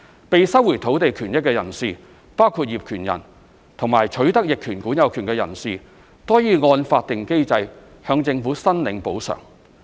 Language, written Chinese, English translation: Cantonese, 被收回土地權益的人士，包括業權人及取得逆權管有權的人士，均可按法定機制向政府申領補償。, Persons whose land interests have been so extinguished including the landowners and the adverse possessors may claim compensation from the Government in accordance with the statutory mechanism